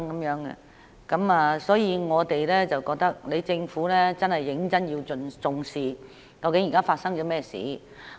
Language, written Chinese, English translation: Cantonese, 有鑒於此，我認為政府真的要認真重視，現在究竟發生甚麼事情。, In view of this I think the Government really needs to seriously pay attention to what is going on now